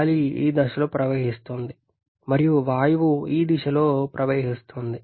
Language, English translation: Telugu, The air is flowing in this direction and the gas is flowing in this direction